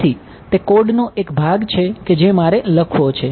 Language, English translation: Gujarati, So, that is a part of code which I have to write